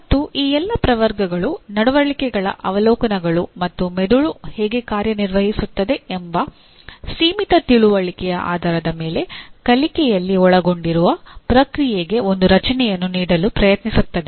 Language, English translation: Kannada, And all these taxonomies attempts to give a structure to the process involved in learning based on observations of learning behaviors and the limited understanding of how the brain functions